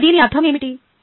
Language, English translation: Telugu, now, what does it mean